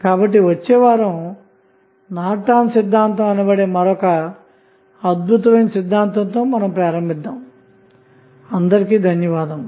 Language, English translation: Telugu, So, next week we will start with another theorem which is called as Norton's Theorem, thank you